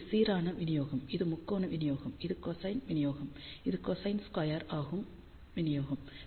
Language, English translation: Tamil, So, this is the uniform distribution, this is the triangular distribution, cosine distribution, and this is cosine squared distribution